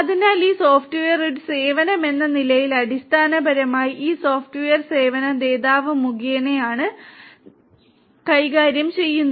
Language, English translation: Malayalam, And so everything this software as a service basically, is managed through this software service provider